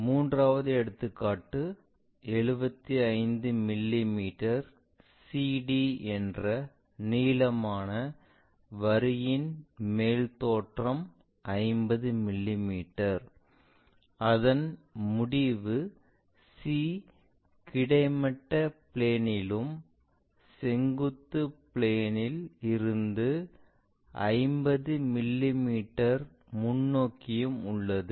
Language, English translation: Tamil, The third example is there is a top view in that 75 mm long line CD which measures 55 50 mm; and its end C is in horizontal plane and 50 mm in front of vertical plane